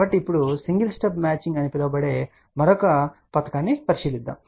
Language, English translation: Telugu, So, now we look into the another scheme which is known as single stub matching